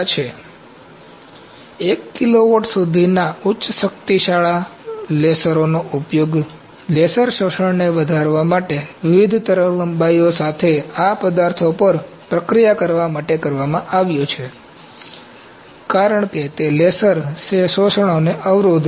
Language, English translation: Gujarati, So, this the high power lasers up to 1 kilowatt, have been used to process these materials along with different wavelengths to increase the laser absorption, because they hampers the laser laser absorption